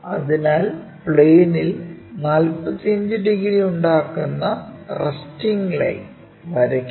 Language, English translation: Malayalam, So, draw that resting one line which is making 45 degrees on the plane